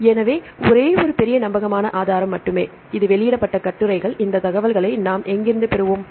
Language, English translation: Tamil, So, only one major resource reliable resource, so that is the published articles, where shall we get this information